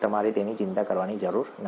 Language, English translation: Gujarati, You do not have to worry about that